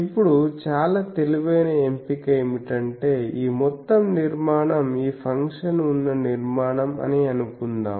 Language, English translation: Telugu, Now a very clever choice is this whole structure suppose this is a structure on which this function is there